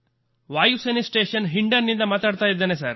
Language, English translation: Kannada, Speaking from Air Force station Hindon